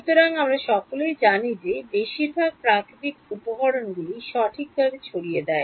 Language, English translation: Bengali, So, we all know that most natural materials are dispersive right